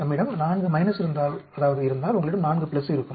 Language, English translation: Tamil, If we have minus, you have 4 plus